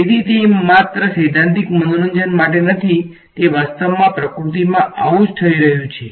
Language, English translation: Gujarati, So, it is not just for theoretical fun its actually happening in nature these things ok